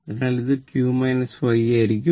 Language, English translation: Malayalam, So, it will be q minus y